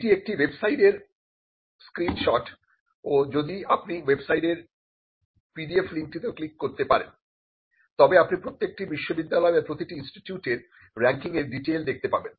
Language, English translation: Bengali, Now, this is a screenshot from the website and if you can click on the PDF link at the website, it will show the details of how each university or each institute fair in the ranking